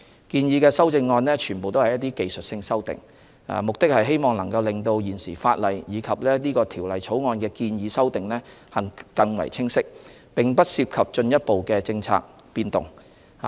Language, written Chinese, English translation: Cantonese, 建議的修正案全為技術性修訂，旨在令到現時法例及本《條例草案》的建議修訂更為清晰，並不涉及進一步的政策變動。, The proposed CSAs are all technical aiming at clarifying the existing legislation and the proposed amendments to the Bill . They do not involve any further policy change